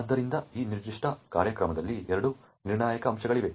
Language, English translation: Kannada, So, there are two critical aspects in this particular program